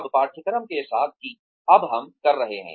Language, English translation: Hindi, Now, with the course, that we are doing now